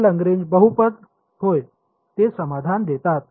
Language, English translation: Marathi, For a Lagrange polynomial, yes, they are satisfying